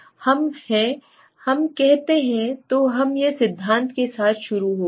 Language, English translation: Hindi, We are Let s say So we started with the theory right